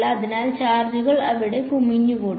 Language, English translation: Malayalam, So, the charges sort of will accumulate there